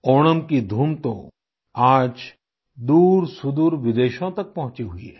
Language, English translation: Hindi, The zest of Onam today has reached distant shores of foreign lands